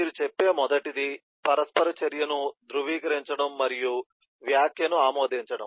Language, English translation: Telugu, the first you say is: the interaction is validate and approve comment